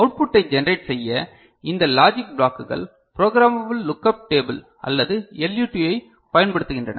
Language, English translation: Tamil, And these logic blocks to generate output uses programmable lookup table or LUT